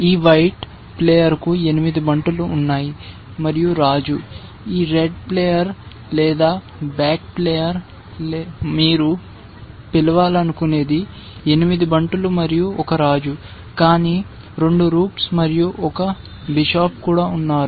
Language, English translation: Telugu, This white player has 8 pawns and the king, this red player or black player whatever you want to call has 8 pawns and a king, but also has 2 rooks and a bishop essentially